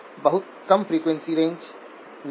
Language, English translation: Hindi, Is in a much lower frequency range